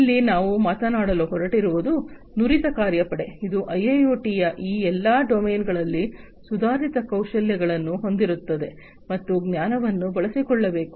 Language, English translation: Kannada, Here we are going to talk about is skilled workforce, which will have advanced skills in all these domains of IIoT, and that knowledge has to be built up